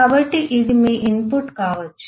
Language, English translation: Telugu, so this itself could be your input